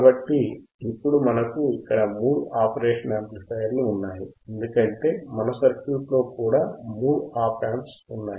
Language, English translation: Telugu, So, now we have here three operational amplifiers; 1, 2, and 3 right because in our circuit also we had three OP Amps right